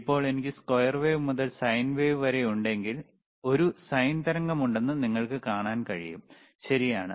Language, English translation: Malayalam, So now, if I have from the square wave 2to sine wave, you can see there is a sine wave, right